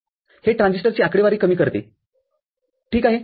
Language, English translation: Marathi, That reduces the transistor count ok